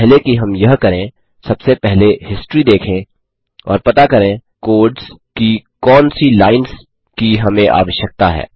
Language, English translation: Hindi, So, Before we do that, let us first look at history and identify what lines of code we require